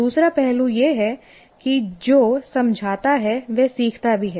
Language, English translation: Hindi, And another aspect is whoever explains also learns